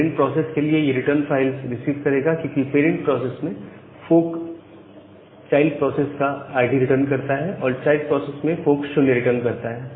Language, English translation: Hindi, So, in the parent process the parent process will not so for the parent process, this will receive return false, because parent the parent process fork returns the ID of the child process and in the child process fork returns 0